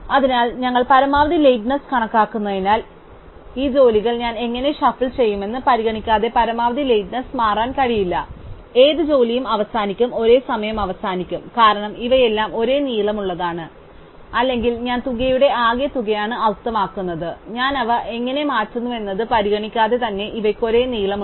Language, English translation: Malayalam, So, since we have counting the maximum lateness, the maximum lateness cannot change regardless of how I shuffle these jobs, which ever jobs ends last will end at the same time, because all of these are of the same length, I mean the sum of the these are same length regardless of how I shuffle them